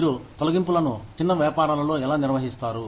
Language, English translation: Telugu, How do you handle layoffs, in small businesses